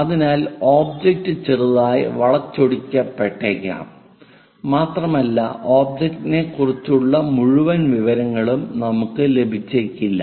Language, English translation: Malayalam, So, the object might be slightly skewed and we may not get entire information about the object